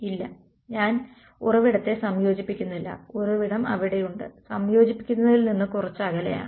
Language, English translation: Malayalam, No I am not integrating over the source the source is there and some small distance away from a time integrating